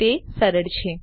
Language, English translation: Gujarati, Easy isnt it